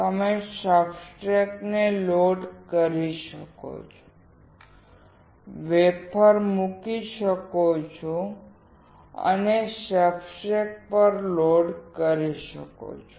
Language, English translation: Gujarati, You can load the substrate, put the wafer and load onto the substrate